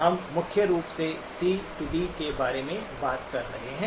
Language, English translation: Hindi, We are primarily talking about a C to D